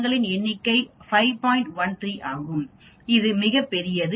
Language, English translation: Tamil, 13 which is very big